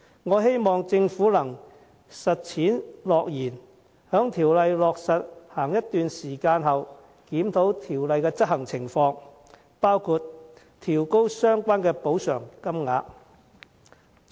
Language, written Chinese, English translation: Cantonese, 我希望政府能履行承諾，在建議落實一段時間後，檢討《僱傭條例》的執行情況，包括調高相關的補償金額。, I hope that the Government will honour its pledge by reviewing the operation of the Employment Ordinance sometime after the implementation of the proposals including the upward adjustment of the amount of compensation